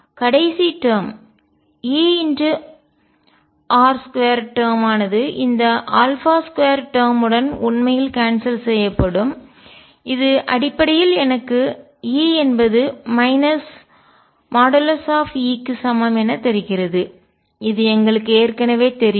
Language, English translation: Tamil, And the last term E r square term would actually cancel with this alpha square term that basically it give me E equals minus mod E which we already know